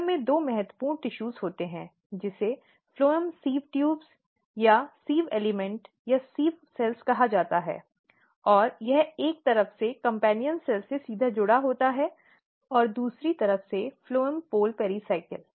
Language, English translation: Hindi, In phloem tissues there are two important tissues one is called phloem sieve tubes or sieve element or sieve cells and this is directly connected with companion cell from one side and phloem pole pericycle from another side